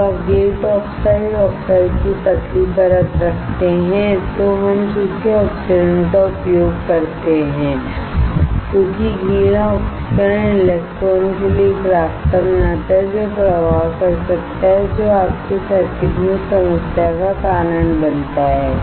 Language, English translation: Hindi, We use dry oxidation when you have gate oxides, thin layer of oxide because wet oxidation creates a path for the electron that can flow, which causes a problem in your circuit